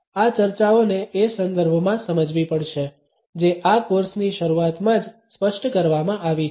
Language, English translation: Gujarati, These discussions have to be understood in the context which has been specified in the very beginning of this course